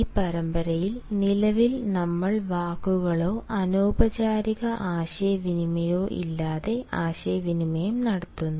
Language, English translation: Malayalam, presently we are discussing communicating without words or nonverbal communication